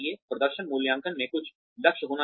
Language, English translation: Hindi, Performance appraisals should have some targets